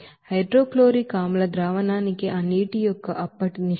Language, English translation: Telugu, And what will be the then ratio of that water to hydrochloric acid solution